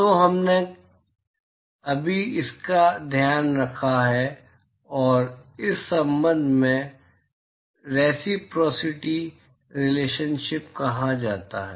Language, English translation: Hindi, So, we have just taken care of that and this relationship is what is called as reciprocity relationship